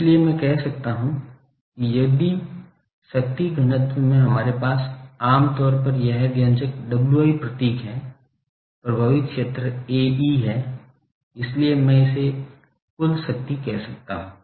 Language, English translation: Hindi, So, I can say that if power density we generally have this expression W i symbol, effective area is A e so, this is I can say total power